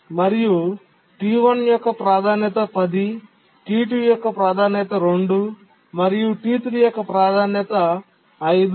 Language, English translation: Telugu, Priority of T1 is 10, priority of T2 is 2 and priority of T3 is 5